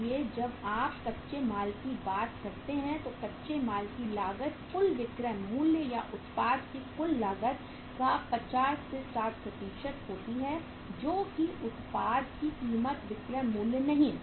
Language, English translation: Hindi, So when you talk about the raw material, cost of raw material it is 50 60% of the total selling price or total cost of the product you can say, not selling price, the cost of the product